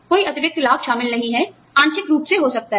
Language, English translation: Hindi, No additional benefits included, may be partially